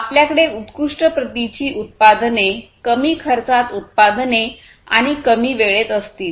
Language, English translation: Marathi, You are going to have products of best quality, produced in lower cost and with shortest time of production